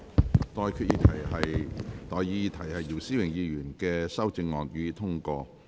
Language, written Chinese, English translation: Cantonese, 我現在向各位提出的待議議題是：姚思榮議員動議的修正案，予以通過。, I now propose the question to you and that is That the amendment moved by Mr YIU Si - wing be passed